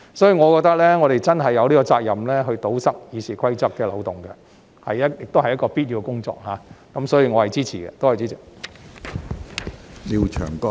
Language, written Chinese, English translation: Cantonese, 所以，我認為我們真的有責任堵塞《議事規則》的漏洞，亦是必要的工作，因此我是支持這項議案的。, In my opinion we have the responsibility to plug the loopholes in RoP and it is also necessary to do it so I support this Motion